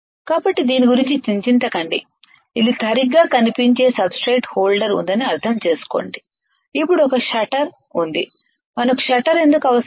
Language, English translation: Telugu, So, do not worry about this just understand that there is a substrate holder which looks like this alright, then there is a there is a shutter why we need shutter